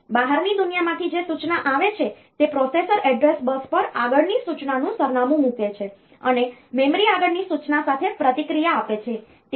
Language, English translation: Gujarati, So, the instruction which comes from the outside world by so, the processor puts the address of next instruction on to the address bus, and the memory responds with the next instruction